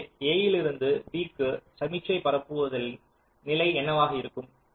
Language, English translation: Tamil, so from a to b, what is the condition of signal propagation